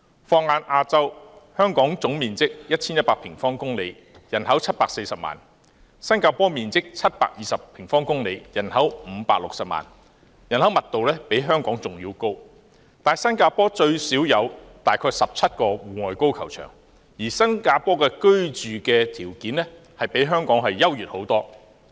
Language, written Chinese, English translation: Cantonese, 放眼亞洲，香港總面積 1,100 平方公里，人口740萬，新加坡面積720平方公里，人口560萬，人口密度比香港還要高，但新加坡最少有大約17個戶外高爾夫球場，而新加坡的居住條件亦較香港優越得多。, Broadening our vision to Asia the total area of Hong Kong is 1 100 sq km and its population stands at 7.4 million whereas the size of Singapore is 720 sq km and its population 5.6 million . With a population density higher than Hong Kong Singapore has at least 17 outdoor golf courses . The living condition in Singapore is much more desirable than that of Hong Kong too